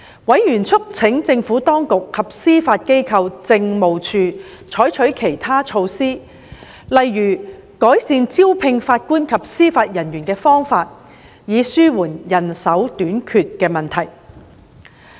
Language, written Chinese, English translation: Cantonese, 委員促請政府當局及司法機構政務處採取其他措施，例如改善招聘法官及司法人員的方法，以紓緩人手短缺的問題。, Members have urged the Administration and the Judiciary Administration to take other measures eg . enhancing the methods for recruiting JJOs to alleviate the problem of manpower shortage